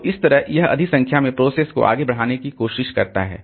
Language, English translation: Hindi, So, that way it tries to push in more number of processes